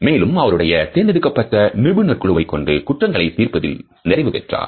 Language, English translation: Tamil, And with his handpicked team of experts they perfected the science of solving crimes